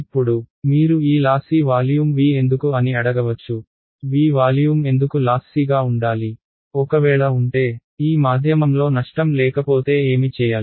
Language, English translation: Telugu, Now you might ask why this lossy volume V right, why should the volume V lossy, what if the; what if there was no loss in this medium